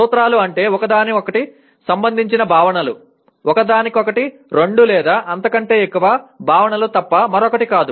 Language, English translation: Telugu, Principles are nothing but concepts related to each other, two or more concepts related to each other